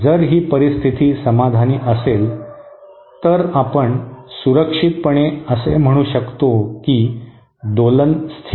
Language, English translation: Marathi, If this condition is satisfied then we can safely say that the oscillation is stable